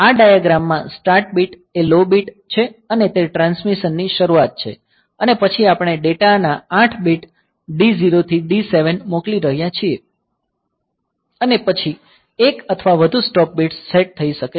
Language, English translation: Gujarati, So, in this diagram the start bit is the low bit and that is the start of the transmission and then we are sending the 8 bit of data d 0 to d 7 and then one or more stop bits may be set